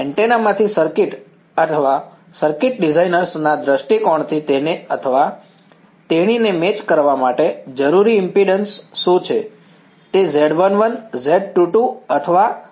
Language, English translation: Gujarati, From a circuit from an antenna or a circuit designers point of view what is the impedance that he or she needs to match, is it Z 1 1, Z 2 2 or what